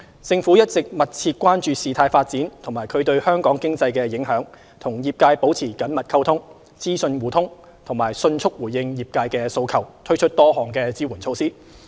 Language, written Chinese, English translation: Cantonese, 政府一直密切關注事態發展及其對香港經濟的影響，與業界保持緊密溝通，資訊互通，並迅速回應業界訴求，推出多項支援措施。, The Government has been closely monitoring developments and their impact on Hong Kong economy maintaining close communication and exchanging information with the trade responding promptly to their need with the introduction of various support measures